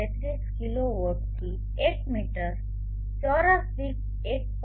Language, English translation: Gujarati, 33 kilowatt per meter square to 1